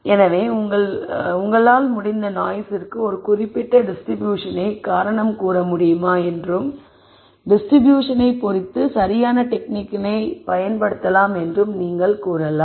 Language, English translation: Tamil, So, you could say if the noise you could you could attribute a particular distribution for that and depending on the distribution you could use the correct technique and so on